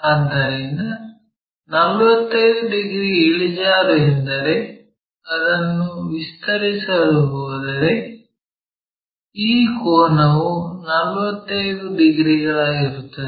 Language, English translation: Kannada, So, 45 degrees inclination means, if we are going to extend that this angle is 45 degrees